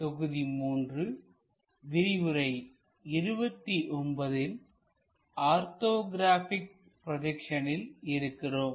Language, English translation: Tamil, We are in module number 3 and lecture number 29 on Orthographic Projections